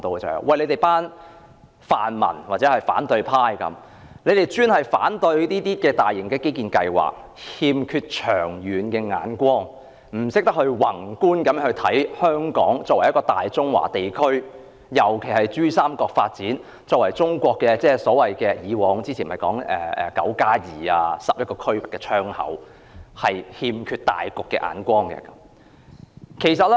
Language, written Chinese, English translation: Cantonese, 他們指泛民或反對派經常反對政府的大型基建計劃，欠缺長遠目光，不懂得宏觀考慮香港作為大中華地區，特別是珠三角發展，即我們以往常說的"九加二"或11個區份的窗口，欠缺大局的眼光。, They point out that the pro - democracy or opposition camps frequent objection to the Governments major infrastructure projects manifest our lack of a long - term vision; our failure to consider from a macroscopic perspective the role played by Hong Kong in the development of the Greater China region especially the Pearl River Delta ; and our lack of a broader vision